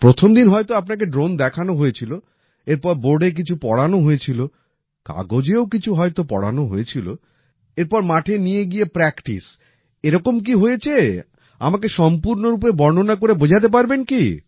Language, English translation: Bengali, You must have been shown a drone on the first day… then something must have been taught to you on the board; taught on paper, then taken to the field for practice… what all must have happened